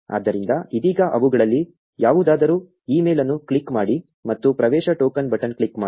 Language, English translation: Kannada, So, for now just click on any one of them say email and click on the get access token button